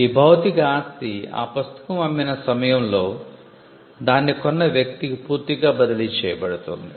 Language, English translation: Telugu, The physical property is completely transferred to the to the person who acquires it at the point of sale